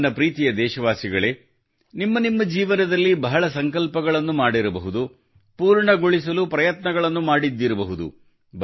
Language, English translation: Kannada, My dear countrymen, you must be taking many resolves in your life, and be you must be working hard to fulfill them